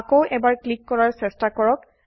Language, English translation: Assamese, Try to click for the third time